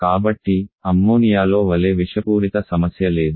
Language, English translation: Telugu, So there is no issue of toxicity like in Ammonia